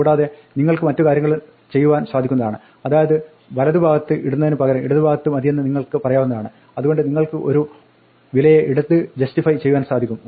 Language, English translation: Malayalam, And you can also do other things you can tell it not to put it on the right put it on the left, so you can left justify the value